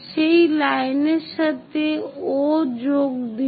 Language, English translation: Bengali, Join O with that line